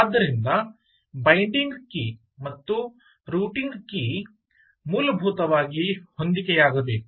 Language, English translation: Kannada, so the binding key and the routing key have to match